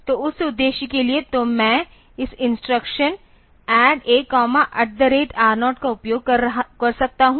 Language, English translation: Hindi, So, for that purpose; so, I can use this instruction add A comma at the rate R0